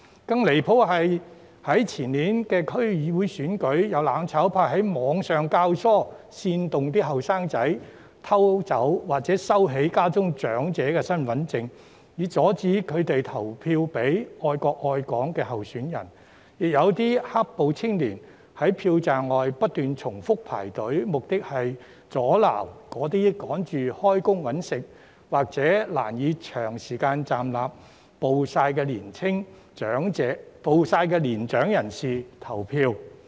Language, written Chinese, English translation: Cantonese, 更加離譜的是，在前年的區議會選舉中，有"攬炒派"於網上教唆、煽動年青人偷走或收起家中長者的身份證，以阻止他們投票給愛國愛港的候選人，亦有"黑暴"青年在票站外不斷重複排隊，目的是阻撓急於上班謀生的選民或難以長時間站立和曝曬的年長人士入內投票。, What is even more outrageous is that during the District Council elections held in the year before last some of those from the mutual destruction camp instigated and incited young people on the Internet to steal or take away the identity cards of their elderly family members to prevent them from voting for candidates who love the country and Hong Kong . Some young people engaged in black - clad violence also lined up outside the polling stations repeatedly to obstruct voters who were in a hurry to go to work to earn a living or elderly people who had difficulty in standing and being exposed to the sun for a long time from entering the polling stations to vote